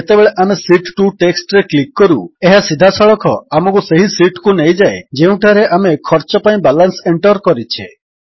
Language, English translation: Odia, Now, when we click on the text Sheet 2, it directly takes us to the sheet where we had entered the balance for Cost